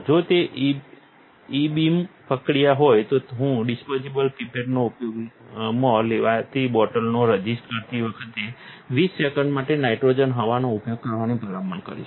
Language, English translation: Gujarati, If it is a ebeam process I would recommend to use twenty seconds of nitrogen air, when taking resist from a bottle use to disposable pipette